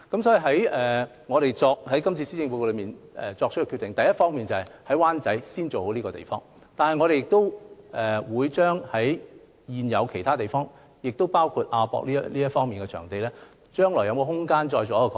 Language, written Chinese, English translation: Cantonese, 所以，我們在今次施政報告作出決定，第一方面，就是先做好灣仔北3座政府大樓拆卸和重建的計劃，同時亦會研究其他現有設施，包括亞博館等場地，將來有否空間進行擴展。, Therefore we made a decision in this Policy Address . We will first duly implement the demolition and redevelopment project of the three government buildings in Wan Chai North while studying the possibility of expanding other existing facilities in the future including venues such as the AsiaWorld - Expo